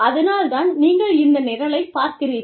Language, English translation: Tamil, Which is why, you are watching this program